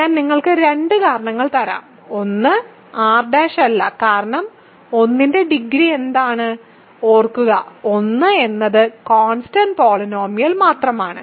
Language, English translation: Malayalam, I will give you two reasons; one is not in R prime right, because what is the degree of 1; remember 1 is the constant polynomial